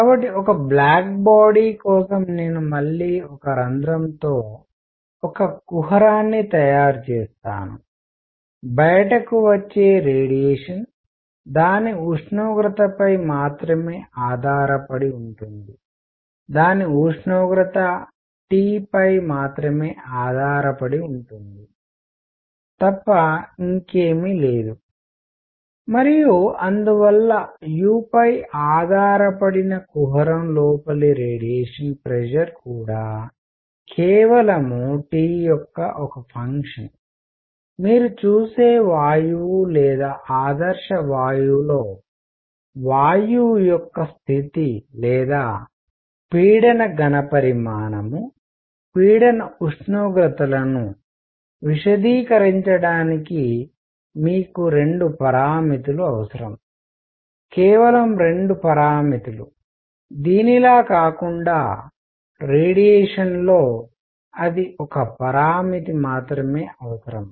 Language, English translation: Telugu, So, for a black body which I will again make a cavity with a hole, ok, the radiation coming out depends only on its temperature, right, nothing else only on its temperature T and therefore, radiation pressure inside the cavity that depends on u is also a function of T alone; unlike the gas or ideal gas where you see that you need 2 parameters to specify the state of gas, pressure volume, pressure temperature, some just 2 parameters; in radiation, it is only one parameter